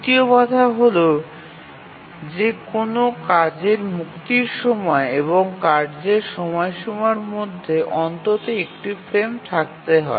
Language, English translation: Bengali, And the third constraint that we would need is that between the release time of a task and the deadline of the task, there must be at least one frame